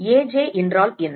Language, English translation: Tamil, What is Aj